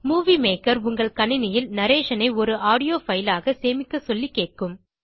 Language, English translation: Tamil, Movie Maker will ask you to save the narration as an audio file on your computer